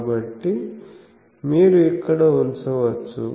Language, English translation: Telugu, So, then you can put it here